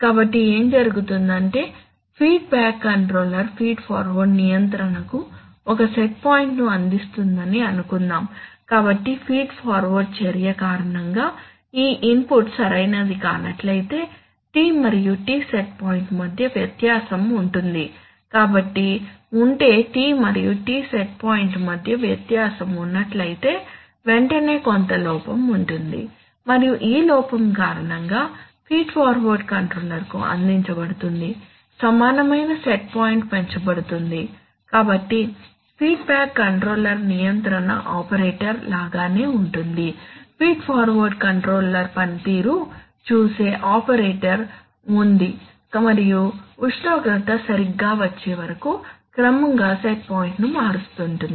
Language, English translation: Telugu, So what will happen is that suppose the feedback controller, actually this now, the feedback controller provides a set point to the feed forward control, so if again due to feed forward action this input is not proper then this, then there will be, there will become discrepancy between T and T set point so if there is a discrepancy between T&T set point immediately there will be some error and due to that error the equivalent set point which is being provided to the feed forward controller that will be raised, so the feedback controller will continuously just like an operator as if there is an operator which actually looks at the feed forward control performance and gradually changes the set point till the temperature is just right